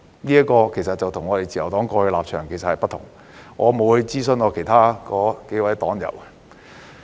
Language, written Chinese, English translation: Cantonese, 這立場其實與我們自由黨過去的立場不同，我亦沒有諮詢其他數位黨友。, In fact this was different from the Liberal Partys previous position and I had not consulted my several party members